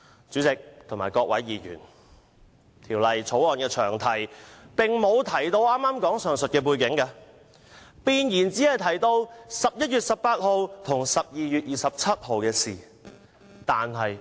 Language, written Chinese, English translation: Cantonese, 主席和各位議員，《條例草案》的詳題並無提到上述背景，弁言只提到11月18日和12月27日的事宜。, President and Honourable Members the long title of the Bill does not refer to the said background . The preamble only mentions the matters concluded on 18 November and 27 December